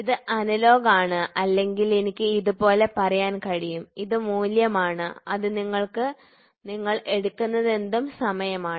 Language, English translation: Malayalam, So, so this is analogous or I can put it like this is magnitude whatever you take this is time